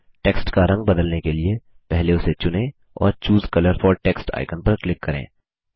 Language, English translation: Hindi, To change the colour of the text, first select it and click the Choose colour for text icon